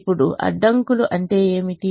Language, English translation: Telugu, now, what are the constraints